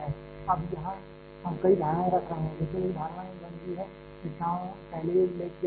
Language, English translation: Hindi, Now here we are putting several assumptions, one of course, one assumption is 1D is already mentioned